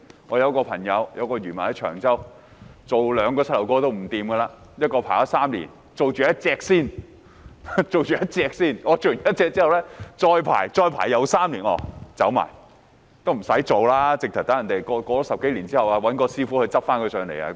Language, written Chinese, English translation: Cantonese, 我有位朋友，是一名漁民，居於長洲，他兩個膝蓋也不妥，輪候了3年其中一個膝蓋才能接受手術，然後要再輪候3年才做另一個膝蓋的手術，接着他就離世。, I had a friend who was a fisherman and lived in Cheung Chau . He had problems on both knees . He had to wait for three years for one of his knees to be operated on and then he had to wait for another three years for the operation on the other knee